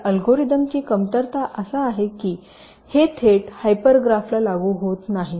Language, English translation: Marathi, the drawback of this algorithm is that this is not applicable to hyper graph directly